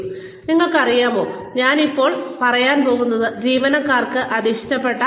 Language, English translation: Malayalam, And again, you know, the employees will not like that